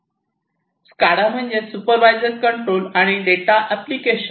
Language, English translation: Marathi, SCADA basically stands for Supervisory Control and Data Acquisition